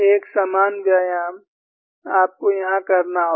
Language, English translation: Hindi, A similar exercise, you have to do here